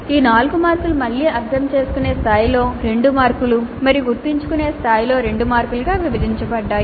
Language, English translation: Telugu, These 4 marks again are split into 2 marks at understand level and 2 marks at remember level